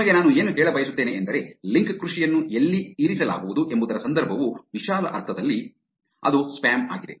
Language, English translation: Kannada, Just to tell you, the context of where link farming is going to be kept which is spam in a broader sense